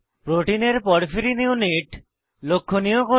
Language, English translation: Bengali, * Highlight the porphyrin units of the protein